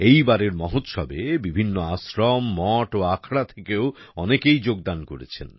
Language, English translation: Bengali, Various ashrams, mutths and akhadas were also included in the festival this time